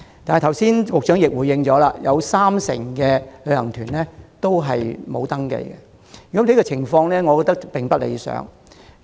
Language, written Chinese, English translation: Cantonese, 不過，局長剛才亦指出，仍有三成旅行團沒有登記，我認為情況並不理想。, But as the Secretary pointed out just now 30 % of the tour groups are not registered tour groups . In my view this is undesirable